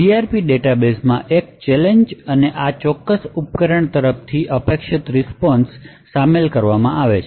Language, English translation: Gujarati, So the CRP database contains a challenge and the expected response from this particular device